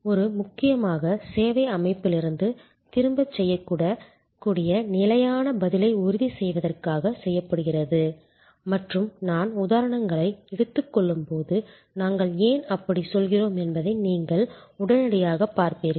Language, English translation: Tamil, This is done mainly to ensure repeatable standard response from the service system and as I take on examples, you will immediately see why we say that